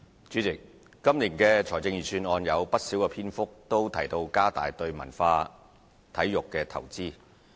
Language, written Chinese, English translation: Cantonese, 主席，今年的財政預算案有不少篇幅提到加大對文化體育的投資。, President a considerable part of this years Budget speech is devoted to increasing the investment in culture and sports